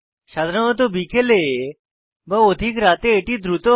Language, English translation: Bengali, Typically mid afternoon or late night may be fast